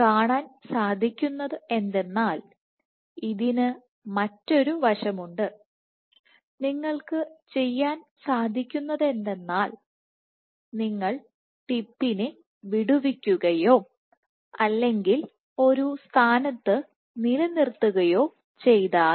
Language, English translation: Malayalam, what has been observed is there is another aspect and you can do that what it says that if you release the tip or hold it in one position